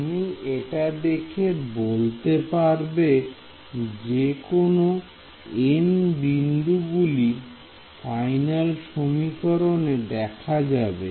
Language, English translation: Bengali, Can you look at this and say which all n points will appear in the final equation ok